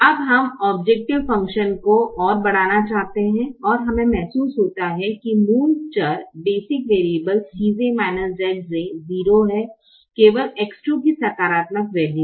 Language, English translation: Hindi, now we wish to increase the objective function further and we realize that that the basic variable have zero c j minus z j, the non basic variable, only x two has a positive value